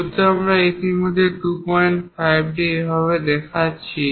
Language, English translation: Bengali, Because we are already showing this 2